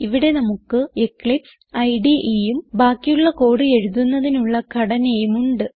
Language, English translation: Malayalam, Here We have Eclipse IDE and the skeleton required for the rest of the code